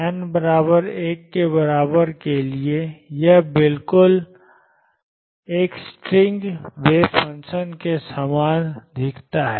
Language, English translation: Hindi, For n equal to 1 it looks exactly the same as a string wave function